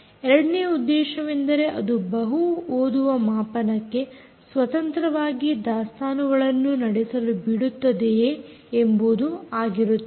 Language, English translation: Kannada, the second purpose is to allow multiple readers to conduct independent inventories